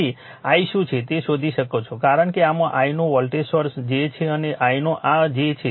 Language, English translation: Gujarati, So, you can find out what is i right because this has this is a voltage source j omega of i and this j omega of i right